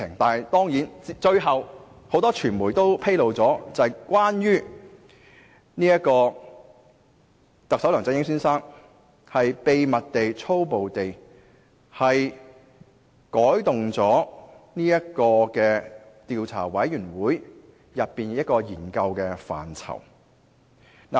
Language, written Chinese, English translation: Cantonese, 但是，最終很多傳媒卻披露，特首梁振英先生秘密地、粗暴地改動了專責委員會的研究範疇。, However eventually a number of media disclosed that Chief Executive Mr LEUNG Chun - ying had amended the areas of study of the Select Committee in a clandestine manner